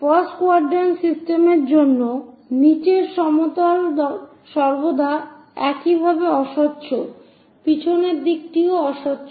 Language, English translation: Bengali, For first quadrant system the bottom plane always be opaque plane similarly, the back side is also opaque